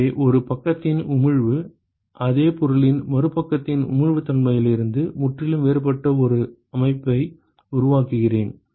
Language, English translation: Tamil, So, I create a system where the emissivity of one side is completely different from the emissivity of the other side of the same object